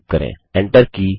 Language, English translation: Hindi, Now type www.google.com